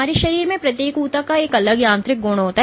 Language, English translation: Hindi, So, each tissue in our body has a distinct mechanical property